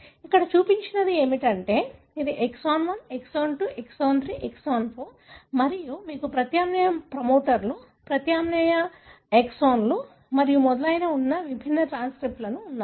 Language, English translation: Telugu, What is shown here is, you know, this is exon 1, exon 2, exon 3, exon 4 and then you have different transcripts having alternate promoters, alternate exons and so on